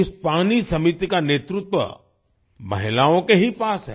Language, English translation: Hindi, The leadership of these water committees lies only with women